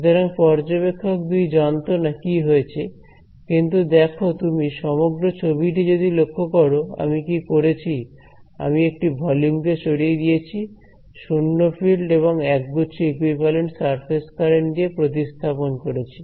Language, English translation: Bengali, So, observer 2 did not know what happened, but just see what is if you get the overall picture what have I done, I have punched out one volume and replaced it by a 0 fields and set of equivalent surface currents